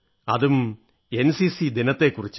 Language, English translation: Malayalam, So let's talk about NCC today